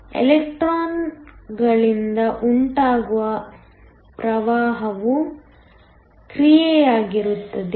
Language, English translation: Kannada, The current due to the electrons will also be a function of distance